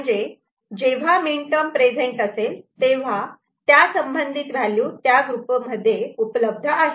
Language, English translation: Marathi, So, wherever it is a minterm is present, then corresponding value it is available in this particular group ok